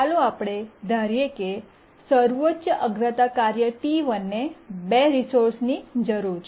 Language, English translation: Gujarati, Let's assume that the highest priority task T1 needs several resources